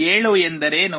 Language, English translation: Kannada, What is 7